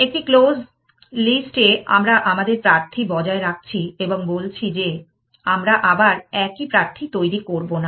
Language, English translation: Bengali, In a close list, we are maintaining our candidates and saying we will not generate the same candidate again